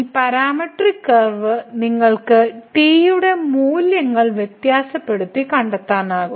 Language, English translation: Malayalam, So, this parametric curve you can trace by varying the values of